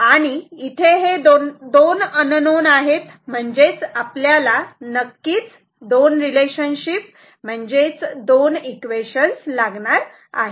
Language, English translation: Marathi, So, there are 2 unknowns so, we need of course, also the two relations, 2 equations